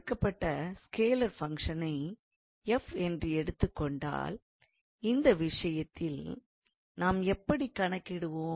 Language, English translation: Tamil, Like if you were given a scalar function let us say f, so then in that case how we can calculate